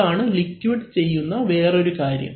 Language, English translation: Malayalam, So, that is another thing that the liquid does